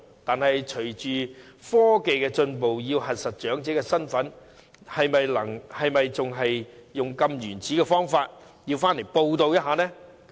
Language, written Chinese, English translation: Cantonese, 不過，隨着科技進步，要核實長者身份，是否仍然要使用這種原始方法，要長者回來報到呢？, However with technological advancement is it still necessary to adhere to this primitive method of requiring elderly people to report their presence in Hong Kong as a means of verifying their identities?